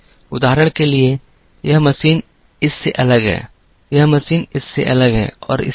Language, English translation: Hindi, For example, this machine is different from this, this machine is different from this and so on